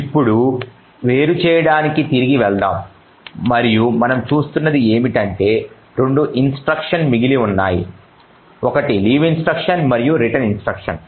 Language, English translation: Telugu, Now let us get back to the disassembly and what we see is that there are 2 instructions remaining one is the leave instruction and then the return instruction